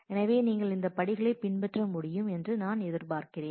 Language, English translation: Tamil, So, I expect that you should be able to go through these steps